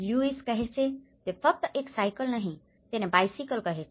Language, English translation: Gujarati, It is where the Lewis calls it is not just a cycle he calls it is a bicycle